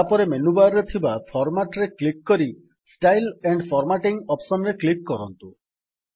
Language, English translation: Odia, Next click on Format in the menu bar and click on the Styles and Formatting option